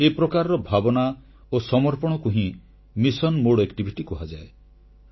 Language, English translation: Odia, This spirit, this dedication is a mission mode activity